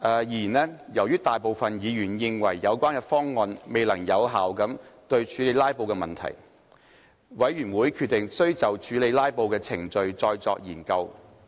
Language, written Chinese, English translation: Cantonese, 然而，由於大部分議員認為有關方案未能有效處理"拉布"問題。委員會決定需就處理"拉布"的程序再作研究。, However most Members considered that the proposal would not be able to effectively deal with filibusters the Committee decided that it is necessary to conduct further studies on the procedures for dealing with filibusters